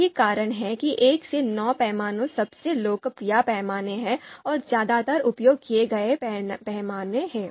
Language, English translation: Hindi, So that is why you know you know 1 to 9 scale is the most popular scale, mostly used scale